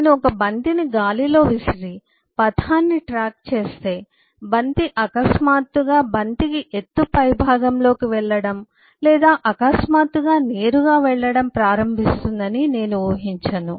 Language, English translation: Telugu, so if we, if I, throw a ball in air and track the trajectory, I would not expect the ball suddenly to start going high at the top of the height or suddenly start going straight